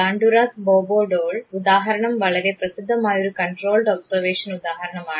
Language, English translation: Malayalam, Banduras Bobo doll example is the very famous example of controlled observation